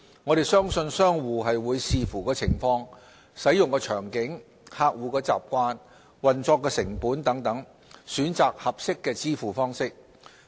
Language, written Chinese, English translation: Cantonese, 我們相信商戶會視乎情況、使用場景、客戶習慣、運作成本等，選擇合適的支付方式。, We believe merchants will take into account their own circumstances scenarios of usage customer behaviour operating cost etc . in choosing the payment solutions which would best suit their purposes